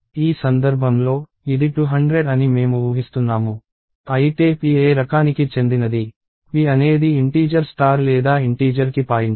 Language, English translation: Telugu, In this case, I am assuming that it is 200, but what type is p, p is of the type int star or it is a pointer to integer